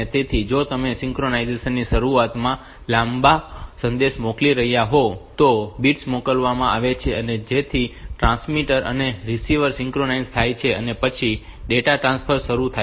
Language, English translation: Gujarati, So, if you are sending a long message at the beginnings of synchronization bits are sent so that the transmitter and receiver they get synchronized and then the data transfer starts